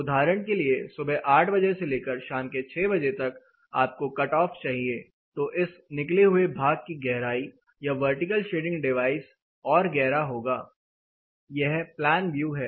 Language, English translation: Hindi, So, you want for example, 8 am in the morning to 6 pm in the evening you want cut off; the depth of this over hand the vertical shading device this is plan view, this will further depend